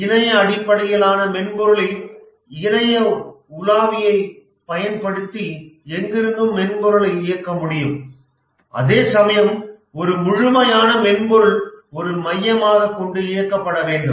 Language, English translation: Tamil, In a web based software, the software can be operated from anywhere using a web browser, whereas in a standalone software, it needs to be operated centrally